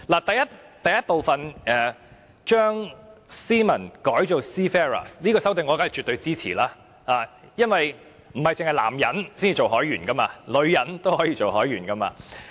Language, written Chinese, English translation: Cantonese, 第1部將 "Seamen" 改為 "Seafarers"， 這項修訂我當然絕對支持，因為不單是男人才做海員，女人也可以做海員。, I will certainly agree to the amendment of changing the term Seamen to Seafarers in Part 1 because there are not only men seafarers but also women seafarers